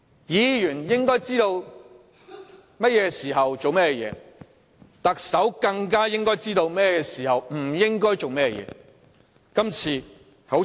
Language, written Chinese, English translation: Cantonese, 議員應該知道甚麼時候做甚麼事；特首更應該知道甚麼時候不應該做甚麼事。, Members should know what should be done at a certain time and the Chief Executive should know what should not be done at a certain time